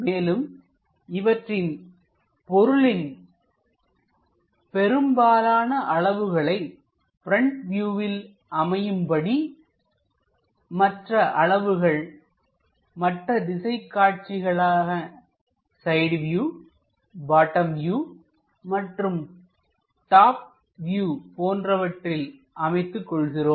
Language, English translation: Tamil, And maximum dimensions supposed to be visible on the front view and remaining dimensions will be pushed on to other directions like side views, bottom views, top views and so on